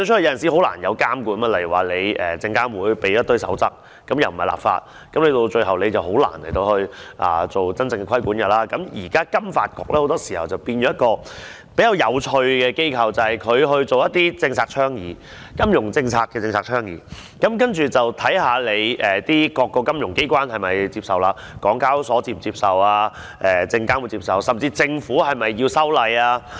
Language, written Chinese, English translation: Cantonese, 現時金融發展局彷彿變成了一間很有趣的機構，意思就是它負責進行一些政策倡議——金融政策的政策倡議——然後再看看各個金融機關是否接受，港交所是否接受？甚至政府是否要修例？, Now FSDC has become a very interesting institution in that it is responsible for some policy advocacy work―to advocate financial policies―and then see if various financial regulators accept its recommendations if the Stock Exchange of Hong Kong Limited HKEx accepts if SFC accepts or if the Government should amend the relevant ordinance and so on